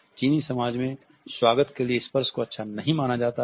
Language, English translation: Hindi, Touch is not welcome in the Chinese society